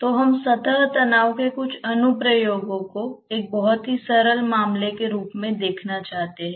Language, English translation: Hindi, Let us say that we want to see some application of surface tension as a very simple case